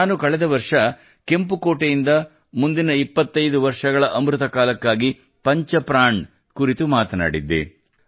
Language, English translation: Kannada, I had talked about 'Panch Prana' for the next 25 years of Amritkal from Red Fort last year